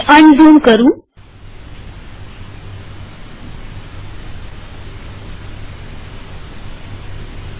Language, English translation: Gujarati, Let me unzoom